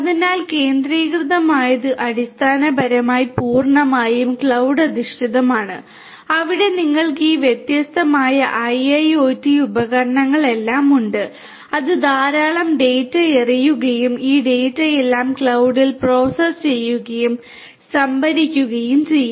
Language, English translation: Malayalam, So, centralized essentially is purely cloud based where you have all these different IIoT devices which will throw in lot of data and this data will all be processed and stored storage at the cloud right so, this is your centralized